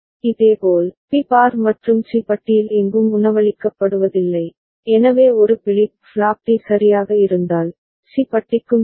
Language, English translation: Tamil, Similarly, for B bar and C bar is not fed anywhere, so it would have been for C bar also ok, if there was a flip flop D right